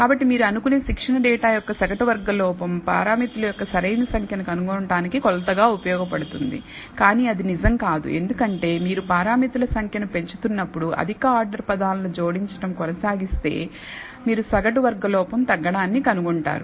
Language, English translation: Telugu, So, the mean squared error of the training data you might think is useful as a measure for finding the optimal number of parameters, but that is not true because as we increase the number of parameters, if you keep adding higher order terms, you will find the mean squared error decreases